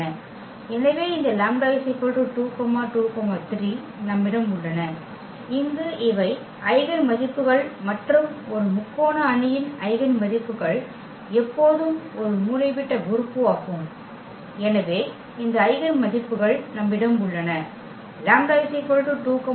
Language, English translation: Tamil, So, we have this 2 2 3 there these are the eigenvalues and the eigenvalues of a triangular matrix are always it is a diagonal element; so, we have these eigenvalues 2 2 3